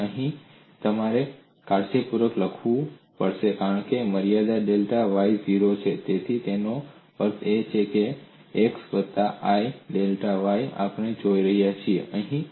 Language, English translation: Gujarati, So here you have to carefully write this as limit delta y tends to 0, so that means x plus i delta y is what we are looking at and x is 0 here